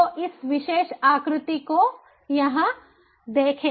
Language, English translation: Hindi, so look at this particular figure over here